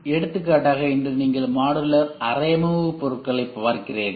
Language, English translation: Tamil, For example today you see modular furniture’s